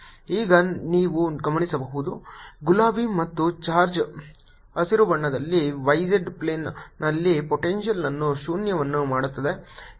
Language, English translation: Kannada, now you will notice that the charge in pink and charge in green make the potential zero on the y z plane